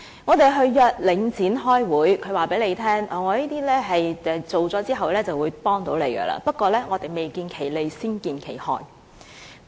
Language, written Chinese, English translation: Cantonese, 我們約領展開會，它卻告訴我們在完成這些工程後便對居民會有幫助，不過卻未見其利，先見其害。, When we held a meeting with Link REIT it told us that after the completion of the works residents would stand to be benefited but we can see many disadvantages before the advantages can be seen